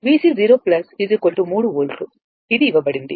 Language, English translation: Telugu, V C 0 plus is equal to 3 volt, it is given